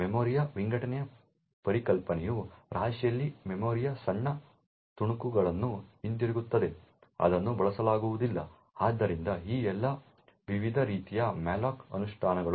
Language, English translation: Kannada, The concept of fragmentation of the memory sets in by which there will be tiny chunks of memory in the heap which is not going to be used, so all of these different types of malloc implementations